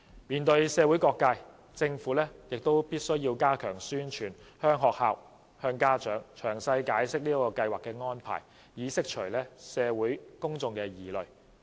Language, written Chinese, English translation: Cantonese, 面對社會各界，政府亦須加強宣傳，向學校和家長詳細解釋這計劃的安排，以釋除社會公眾的疑慮。, In the face of all sectors of the community the Government should also step up publicity and explain to schools and parents in detail the arrangement for the research study in order to dispel public misgivings